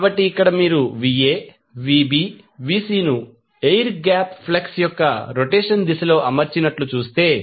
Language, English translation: Telugu, So, here if you see Va Vb Vc are arranged in, in the direction of the rotation of the air gap flux